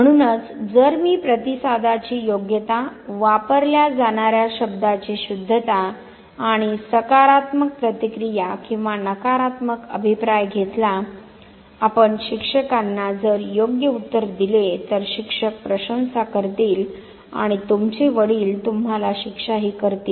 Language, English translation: Marathi, So, the same example if I take the appropriateness of the response, the correctness of the word that is being used and the positive or the negative feedback that given back to you, you give the correct answer to the teacher and teacher praises you use slang and your father punishes you